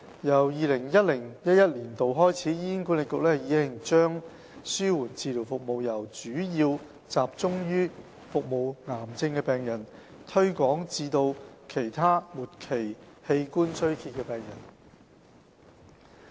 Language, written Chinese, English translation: Cantonese, 由 2010-2011 年度起，醫管局已將紓緩治療服務由主要集中於服務癌症病人，推廣至其他末期器官衰竭病人。, Since 2010 - 2011 HA has extended the targets of its palliative care services from mainly cancer patients to patients with other end - stage organ failure